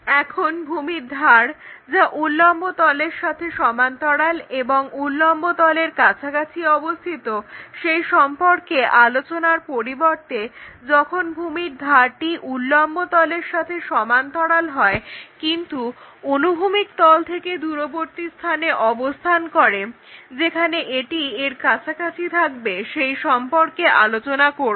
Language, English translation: Bengali, Now, instead of asking these base edge parallel to vertical plane and near to vertical plane what we will ask is if this base edge is parallel to vertical plane, but far away from horizontal plane where this one will be near to that